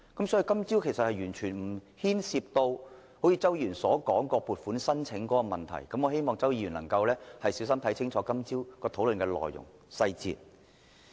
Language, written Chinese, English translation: Cantonese, 所以，在今早會議上完全沒有涉及周議員所說有關撥款申請的問題，我希望周議員能夠小心看清楚今早討論的內容和細節。, Thus issues mentioned by Mr CHOW regarding the funding applications were definitely not raised in the meeting this morning . I hope Mr CHOW could have a clear picture about the contents and details of the discussion this morning